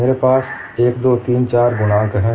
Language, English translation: Hindi, I have 1, 2, 3, 4 coefficients